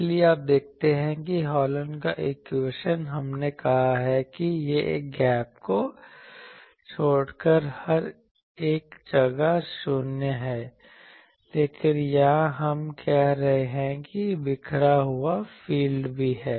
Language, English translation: Hindi, So, you see Hallen’s equation we said this is 0 everywhere except the gap, but here we are saying no there is also a scattered field, because of these